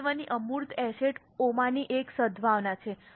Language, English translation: Gujarati, One of the important intangible assets is goodwill